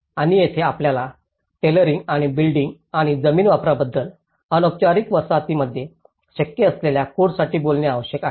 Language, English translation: Marathi, And this is where we need to talk about the tailoring and the building and land use, codes to the feasible in informal settlements